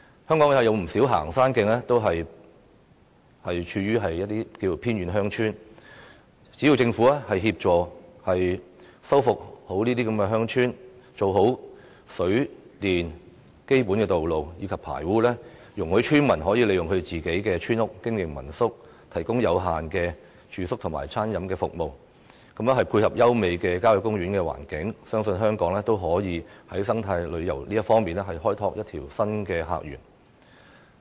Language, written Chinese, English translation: Cantonese, 香港有不少行山徑亦處於偏遠鄉村，只要政府協助修復，做好水、電、基本道路及排污，容許村民利用村屋經營民宿，提供有限的住宿及餐飲服務，配合優美的郊野公園環境，相信香港也可以在生態旅遊方面開拓新的客源。, Many hiking trails in Hong Kong are situated in remote villages . If the Government assists in restoration provides water supply and power generation facilities undertakes basic road and drainage works and allows villagers to operate their village houses as homestay lodgings to provide limited accommodation and catering services I believe Hong Kong has the potentials to open up new visitor sources in terms of eco - tourism given the beautiful environment of country parks